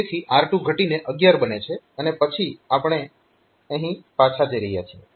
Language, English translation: Gujarati, So, r 2 r 2 is decremented in becomes 11 and then we are going back here